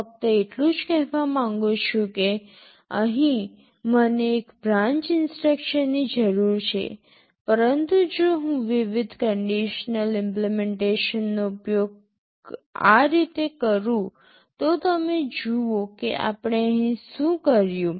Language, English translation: Gujarati, The only thing that I want to say is that, here I am requiring one branch instruction, but if I use the conditional variety of implementation like this, you see what we have done here